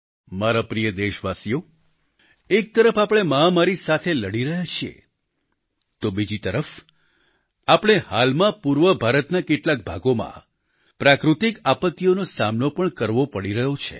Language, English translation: Gujarati, on one hand we are busy combating the Corona pandemic whereas on the other hand, we were recently confronted with natural calamity in certain parts of Eastern India